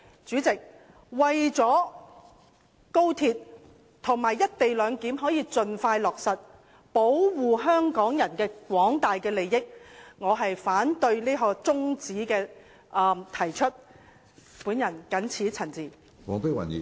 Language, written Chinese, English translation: Cantonese, 主席，為了讓高鐵和"一地兩檢"能夠盡快落實，保護香港人的廣大利益，我謹此陳辭，反對這項中止待續議案。, President in order to facilitate the commissioning of the XRL and the implementation of the co - location arrangement and protect the wider public interests in Hong Kong I oppose the adjournment motion